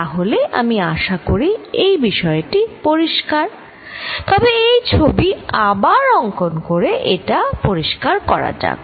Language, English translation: Bengali, So, I hope this point is clear, but let me make it clear by drawing this picture again